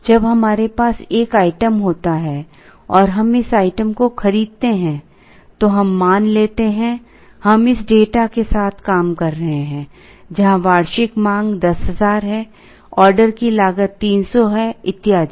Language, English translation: Hindi, When we have a single item and we buy this item, let us assume, we are working with this data, where the annual demand is 10000, order cost is 300 and so on